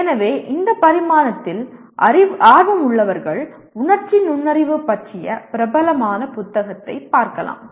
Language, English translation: Tamil, So this is something those of you interested in this dimension you can look at the famous book on emotional intelligence